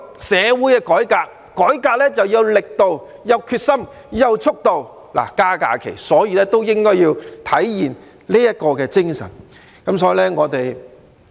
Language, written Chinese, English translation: Cantonese, 社會要改革，就要有力度、決心、速度，增加假期也應該體現這種精神。, In order to carry out a reform on society we must have the strength determination and speed . They are also the elements that should be displayed in granting additional holidays